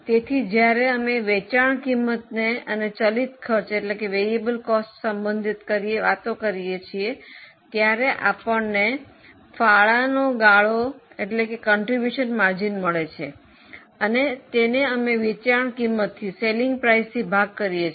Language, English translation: Gujarati, So, we relate the sales price to variable cost, we get the contribution margin and we divide it by selling price